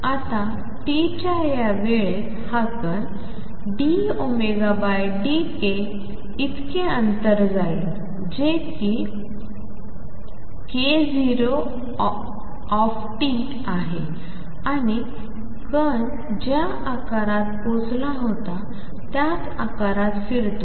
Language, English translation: Marathi, And in time t this fellow moves by a distance d omega by d k calculated at k 0 t and moves same shape the particle has reached here